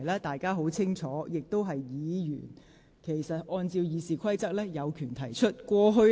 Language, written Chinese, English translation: Cantonese, 大家清楚知道，按照《議事規則》，議員有權提出規程問題。, As we clearly know according to RoP Members have the right to raise a point of order